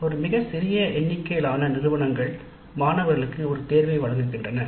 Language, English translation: Tamil, A very small number of institutes do offer a choice to the students